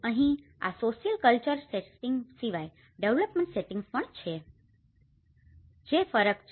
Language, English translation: Gujarati, Here, apart from these social cultural settings, there is also development settings which makes a difference